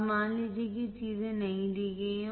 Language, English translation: Hindi, Now, suppose these things are not given